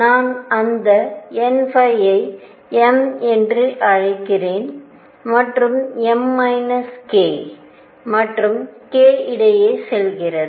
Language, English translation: Tamil, And let me call that n phi m, and m goes between minus k and k